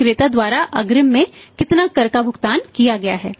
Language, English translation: Hindi, How much tax has in advance when paid by the seller